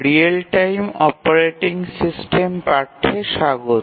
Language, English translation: Bengali, Welcome to this course on Real Time Operating System